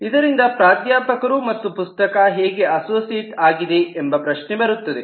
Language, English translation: Kannada, so it comes a question of how the professor and the book are associated